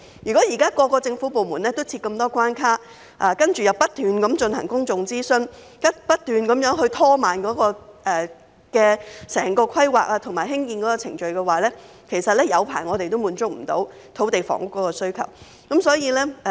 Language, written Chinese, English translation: Cantonese, 現時各個部門都設立重重關卡，然後不斷進行公眾諮詢，不斷拖慢整個規劃及興建程序，即使再過很長時間，也難以滿足土地房屋的需求。, At present the numerous hurdles posed by various government departments and the repeated public consultations have slowed down the entire planning and construction processes time and again thereby making it difficult to meet the demand for land and housing even after a prolonged period of time